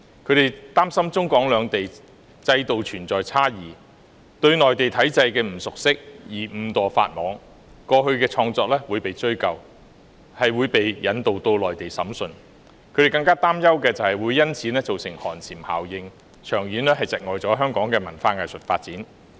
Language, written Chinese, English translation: Cantonese, 他們擔心中港兩地制度存在差異，會因為對內地體制的不熟悉而誤墮法網，過去的創作亦會被追究，可能會遭引渡到內地審訊；他們更擔憂的是會因此造成寒蟬效應，長遠窒礙香港的文化藝術發展。, They worried that given the difference in the systems between China and Hong Kong they would inadvertently break the law since they do not know the Mainland system well . The works created by them in the past would be raked up and they might be extradited to the Mainland for trial . An even greater concern was that it would consequently cause a chilling effect smothering the cultural and arts development in Hong Kong in the long term